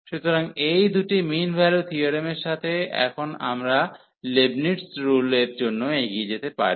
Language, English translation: Bengali, So, with this with these two mean value theorems, we can now proceed for the Leibnitz rule